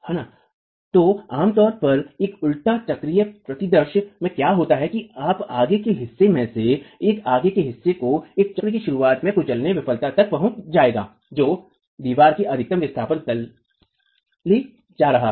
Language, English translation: Hindi, Yes, so what typically would happen in a reverse cyclic scenario is that one of the toes would reach crushing failure at the beginning of the at the beginning of a cycle that is taking the wall to the maximum displacement